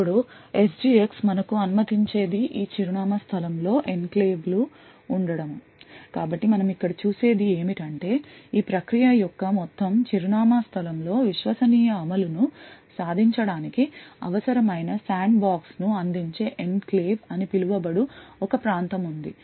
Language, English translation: Telugu, Now what SGX permits us to do is to have enclaves in this address space so what we see over here is that within this entire address space of the process there is one region which is called the enclave which provides the necessary sandbox to achieve the Trusted Execution Environment